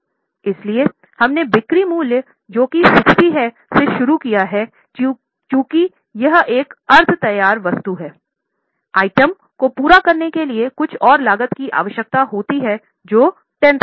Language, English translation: Hindi, From that, since this is a semi finished item, some more cost is required to complete the item which is 10,000